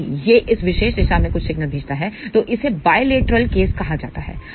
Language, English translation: Hindi, If it does send some signal in this particular direction, it is known as bilateral case